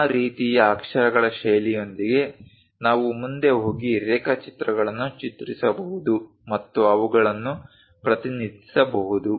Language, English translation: Kannada, So, with that kind of lettering style, we can go ahead and draw sketches and represent them